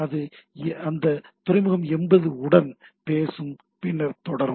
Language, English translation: Tamil, So, it will talk to that port 80 and then go on